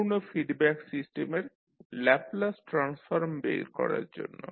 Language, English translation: Bengali, To find the Laplace transform of the complete feedback system